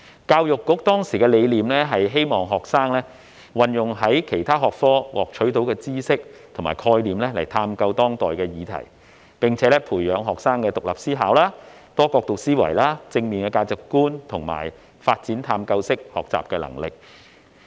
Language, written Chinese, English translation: Cantonese, 教育局當時的理念，是希望學生運用從其他學科獲取的知識和概念來探究當代議題，並且讓學生培養獨立思考、多角度思維和正面價值觀，以及發展探究式學習能力。, The objective of the Education Bureau EDB back then was to enable students to apply the knowledge and concepts acquired from other subjects to explore contemporary issues develop the ability to think independently from multiple perspectives cultivate positive values and conduct inquiry - based learning